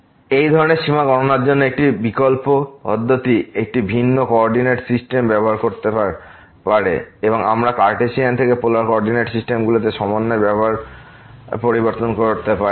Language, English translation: Bengali, An alternative approach to compute such limit could be using a different coordinate system and we can use the change of coordinate system from Cartesian to Polar coordinates